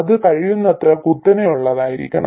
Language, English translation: Malayalam, It has to be as steep as possible